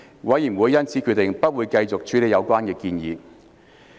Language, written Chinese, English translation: Cantonese, 委員會因而決定不會繼續處理有關建議。, The Committee therefore decided not to pursue the proposal further